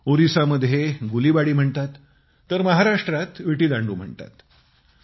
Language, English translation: Marathi, In Odisha it's called Gulibadi and in Maharashtra, Vittidaaloo